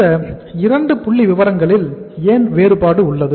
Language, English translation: Tamil, So why the difference in these 2 figures is there